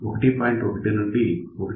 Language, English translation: Telugu, 1 to 1